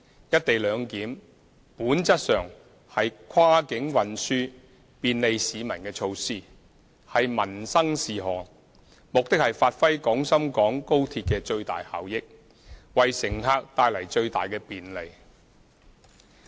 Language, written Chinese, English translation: Cantonese, "一地兩檢"本質上是跨境運輸便利市民的措施，是民生事項，目的是發揮廣深港高鐵的最大效益，為乘客帶來最大的便利。, The co - location arrangement is a facilitation measure for cross - boundary transport and a livelihood issue by nature and its objective is to fully unleash the benefits of XRL and maximize convenience to passengers